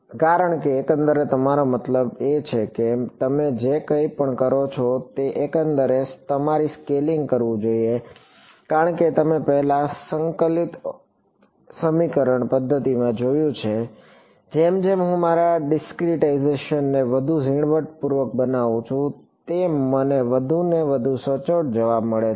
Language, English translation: Gujarati, Because, overall your I mean your scaling overall whatever you do, it should be done in a consistent way because as you seen in integral equation methods before, as I make my discretization finer and finer I get more and more accurate answers